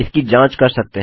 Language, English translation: Hindi, You can check it out